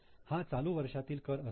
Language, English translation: Marathi, Now this is a current tax